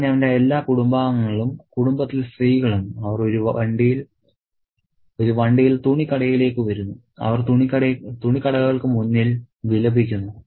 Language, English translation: Malayalam, So, all his family members, the women of the family, they come to the clothes shop in a cart and they wail in front of the clothes shop